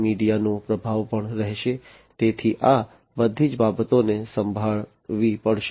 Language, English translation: Gujarati, Media influence is also going to be there, so all these things will have to be handled